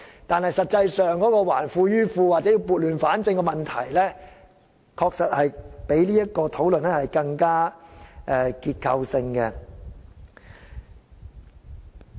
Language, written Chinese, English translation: Cantonese, 但是，說到"還富於富"或撥亂反正，問題確實較我們現時討論的事情更為結構性。, Nevertheless when it comes to returning wealth to the rich or setting things right there is actually a structural problem that is more serious than the problem that we are now discussing